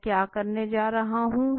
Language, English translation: Hindi, What I am going to do